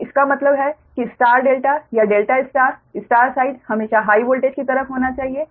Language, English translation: Hindi, so that means star delta or delta star star side should be always on the high voltage side